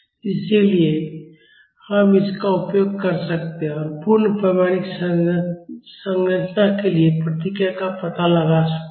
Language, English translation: Hindi, So, we can use this and find out the response for a full scale structure